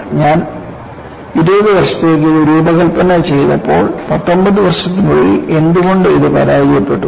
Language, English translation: Malayalam, WhenI had designed it for 20 years, why it failed in 19 years